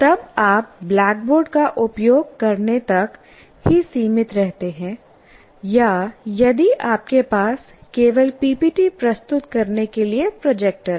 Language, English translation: Hindi, Then you are confined to using only the blackboard or if you have a projector only to present the PPPTs